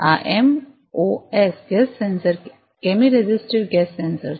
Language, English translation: Gujarati, This MOS gas sensors are chemi resistive gas sensors